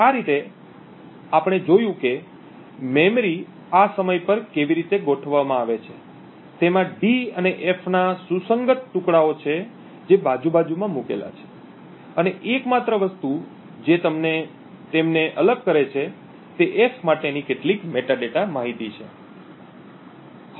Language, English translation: Gujarati, So in this way what we see is that we have seen how the memory is organized at this particular point in time, it has contiguous chunks of d and f which has placed side by side and the only thing which separates them is some metadata information for the f